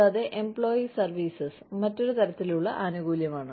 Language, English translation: Malayalam, And, employee services is another type of benefit